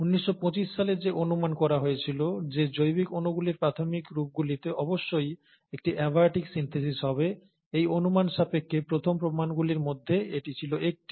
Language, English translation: Bengali, So this was one of the earliest proofs to the hypothesis which was put forth in nineteen twenty nine, that the early forms of biological molecules must have had an abiotic synthesis